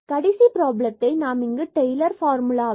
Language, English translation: Tamil, The last problems here so we have Taylor’s formula about this 0